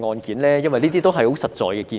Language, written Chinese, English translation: Cantonese, 這些都是很實在的建議。, All these are very concrete suggestions